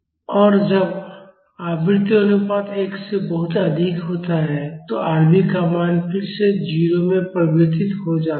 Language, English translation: Hindi, And when the frequency ratio is much higher than 1, the value of Rv converges to 0 again